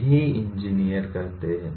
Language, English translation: Hindi, That is what the engineers do